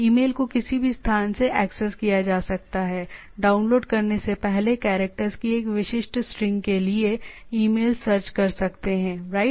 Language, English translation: Hindi, Email can be accessed from any location, can search email for a specific string of characters before downloading, right